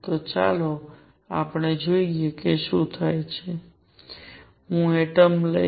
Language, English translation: Gujarati, So, let us see what happens, I will take this atom